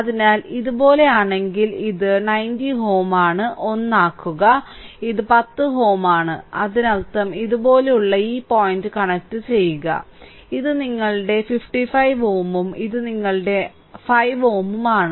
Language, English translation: Malayalam, So, if I make it like this so, this is 90 ohm make it 1, this is 10 ohm right; that means, this point I connect like this and this is your 55 ohm and this is your 5 ohm right